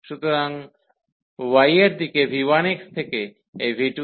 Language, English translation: Bengali, So, for y direction we have the limits here v 1 x v 1 x to this v 2 x